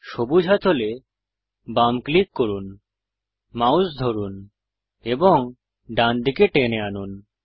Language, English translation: Bengali, Left click green handle, hold and drag your mouse to the right